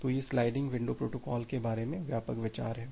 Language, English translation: Hindi, So, that is the broad idea about the sliding window protocol